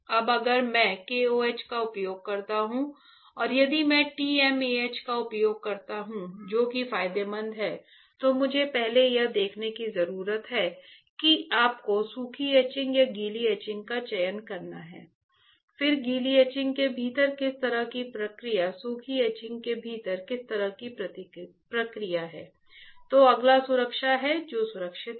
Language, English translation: Hindi, Now, if I use KOH and if I use TMAH which one is advantageous, again I need to see the first is you have to select dry etching or wet etching, then within wet etching what kind of process within dry etching what kind of process right